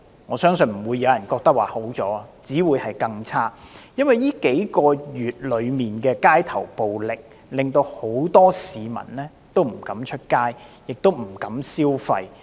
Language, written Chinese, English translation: Cantonese, 我相信不會有人認為好轉，只會是更差，因為這數個月的街頭暴力，令很多市民不敢出街，不敢消費。, I believe no one thinks that it has improved . The economy will only get worse because months of street violence have discouraged many people from going out or spending